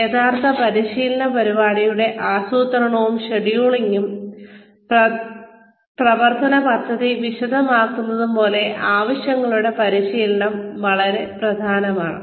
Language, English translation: Malayalam, So, needs analysis is very important as, is the planning and scheduling of, and detailing the plan of action, for the actual training program